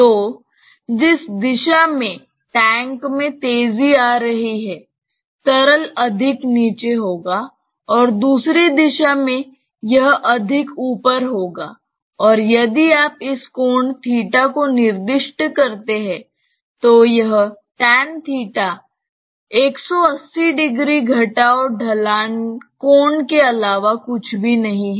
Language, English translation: Hindi, So, in the direction in which the tank is accelerating, the liquid will be more down and in the other direction, it will be more up right and if you specify this angle as theta, then that theta is nothing but 180 degree minus this slope angle